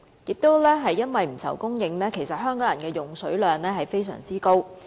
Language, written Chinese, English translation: Cantonese, 正因為不愁供應，香港人的用水量非常高。, As we need not worry about supply the water consumption of the Hong Kong people stands very high